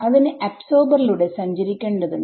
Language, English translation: Malayalam, It has to travel through the absorber right